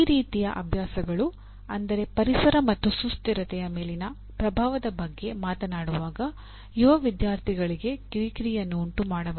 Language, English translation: Kannada, This can be, that kind of exercises can be irritating to an young student when they are talking about the impact on environment and sustainability